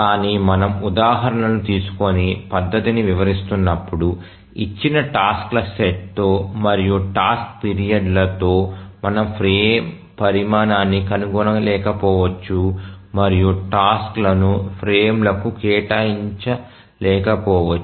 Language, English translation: Telugu, But as we take examples and explain the methodology, we will find that it may be possible that with a given set of tasks and task periods we may not be able to find a frame size and assign tasks to frames